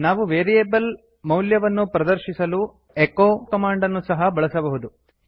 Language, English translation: Kannada, We can also use the echo command to display the value of a variable